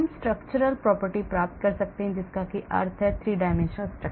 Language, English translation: Hindi, we can get the structural properties that means 3 dimensional structure